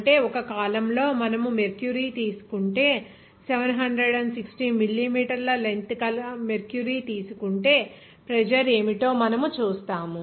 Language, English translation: Telugu, That means, in a column if you take mercury and you will see what will be the pressure if you take that mercury of length of 760 millimeter length